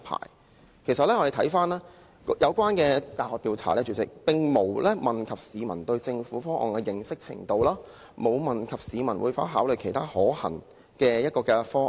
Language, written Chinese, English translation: Cantonese, 主席，其實我們看到有關的大學調查，當中並無問及市民對政府方案的認識程度，亦沒有問及市民會否考慮其他可行方案。, President the survey conducted by the university concerned did not ask the public how much they knew about the Governments proposal nor did it ask the public whether they would consider other possible options